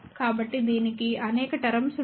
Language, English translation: Telugu, So, that will have several terms